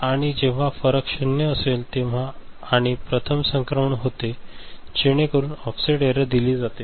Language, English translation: Marathi, And the difference when it is at 0, and the first transition occurs, so that is the giving the offset error